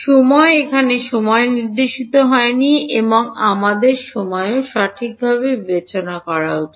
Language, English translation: Bengali, Time has not been indicated over here and we should discretize time also right